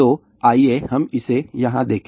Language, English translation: Hindi, So, let us just look at it here